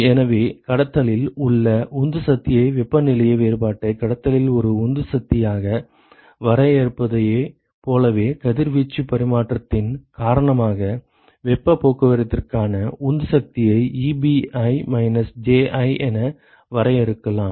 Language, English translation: Tamil, So, very similar to the way we define driving force in conduction the temperature difference as a driving force in conduction, one could define a driving force for heat transport due to radiation exchange as Ebi minus Ji